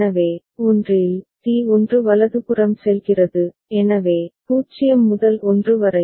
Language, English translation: Tamil, So, in one, where T1 is leading right So, 0 to 1